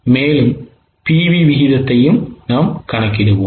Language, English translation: Tamil, Also let us calculate the PV ratio